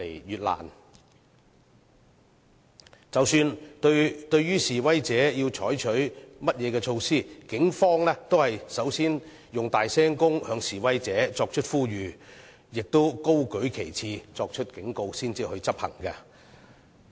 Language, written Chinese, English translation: Cantonese, 然而，即使要對示威者採取甚麼措施，警方也會先以擴音器向示威者作出呼籲，亦會先高舉旗幟作警告，然後才會執行。, Nevertheless even if whatever measure is to be taken against the protesters the Police will first send out appeals to the protesters through loudspeakers and warnings will also be issued by holding up the banner to the subjects prior to administration